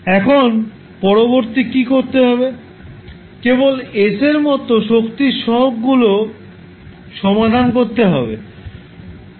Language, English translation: Bengali, Now, what next you have to do, you have to just equate the coefficients of like powers of s